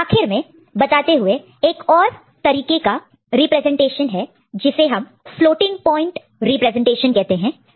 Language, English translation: Hindi, So, the last point just to conclude the there is another representation called floating point representation